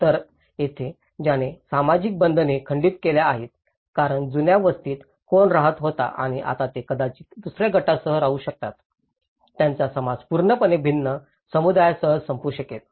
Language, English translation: Marathi, So, here, which actually breaks the social bondages because who was living in the old settlement and now, they may live with some other group, they may end up with completely different community